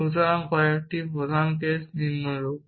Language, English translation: Bengali, So, some of main cases are follows